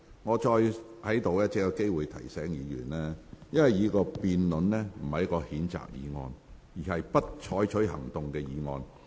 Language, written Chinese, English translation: Cantonese, 我再次提醒議員，本會現在要辯論的不是譴責議案，而是"不採取行動"的議案。, I have to remind Members once again that this Council is now debating on the no further action motion not the censure motion